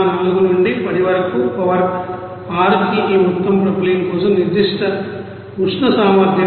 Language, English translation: Telugu, 04 into 10 to the power you know 6 this amount of specific heat capacity for propylene